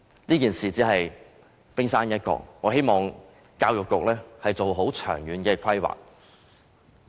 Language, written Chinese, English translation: Cantonese, 此事只是冰山一角，我希望教育局做好長遠規劃。, The incident is just the tip of the iceberg . I hope that the Education Bureau can make proper long - term planning